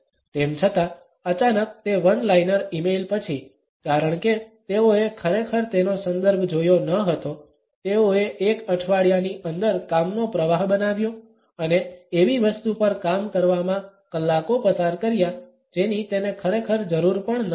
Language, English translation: Gujarati, Although, sudden after that one liner email, because they had not really seen her context, they created a work stream within a week and spend hours working on something that she did not even really need